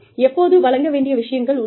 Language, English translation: Tamil, When, there are things to be delivered